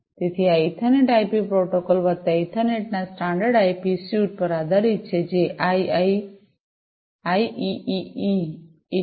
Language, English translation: Gujarati, So, this Ethernet/IP is based on the standard IP suite of protocols plus the Ethernet, which is IEEE 82